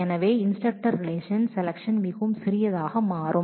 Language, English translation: Tamil, So, the instructor relation after the selection would become much smaller